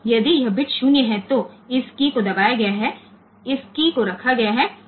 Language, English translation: Hindi, So, if this bit is 0 means this key has been pressed this key has been placed